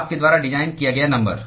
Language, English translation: Hindi, number you designed